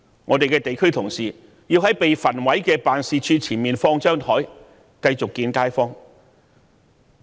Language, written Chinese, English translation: Cantonese, 我們的地區同事須在被焚毀的辦事處前面擺放桌子，繼續會見街坊。, Our district staff have to set up tables in front of the burnt site to continue with their work of meeting residents in the community